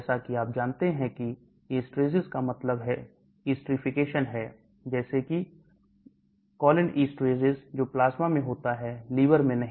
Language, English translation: Hindi, As you know esterases means esterification, like cholinesterase that is in the plasma not in the liver